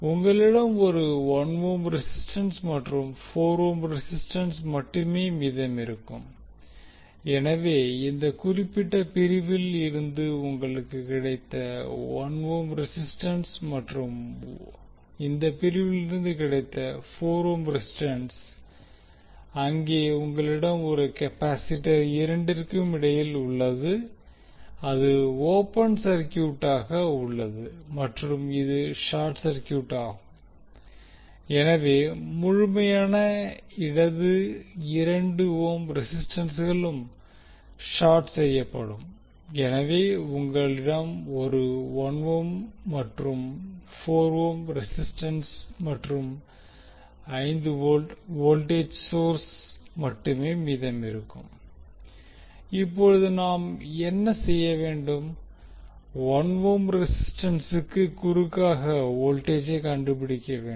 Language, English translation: Tamil, So 1 ohm resistance you got from this particular section and 4 ohm is from this section where you have capacitor in between but capacitor will be open circuited and this is short circuit, this is short circuit so the complete left 2 ohm resistance will also be short circuited, so you will left with only 1 ohm and 4 ohm resistances and 5 volt voltage source